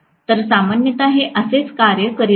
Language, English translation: Marathi, So, this is the way generally it is going to work